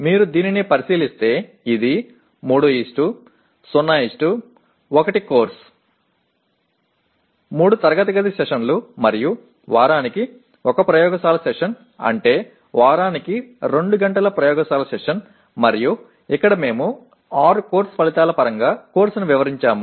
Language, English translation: Telugu, If you look at this it is a 3:0:1 course; 3 classroom sessions and 1 laboratory session per week which means 2 hours of laboratory session per week and here we have described the course in terms of 6 course outcomes